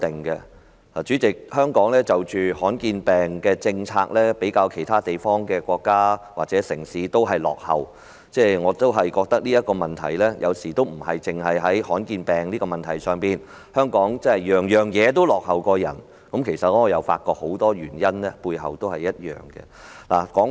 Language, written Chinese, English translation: Cantonese, 代理主席，在罕見疾病的政策方面，香港比其他國家或城市落後，我認為這問題有時候不單見諸於罕見疾病上，香港凡事皆比其他國家落後，我發覺有很多原因是相同的。, Deputy President Hong Kong lags behind other countries or cities when it comes to the formulation of a rare disease policy . I think that sometimes this problem can be found not only in respect of rare diseases . I notice that Hong Kong lags behind other countries in all respects for the same reason